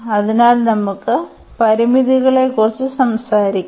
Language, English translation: Malayalam, So, let us talk about the limits